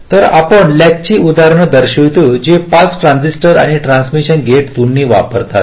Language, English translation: Marathi, ok, so we show examples of latches that use both pass transistors and also transmission gates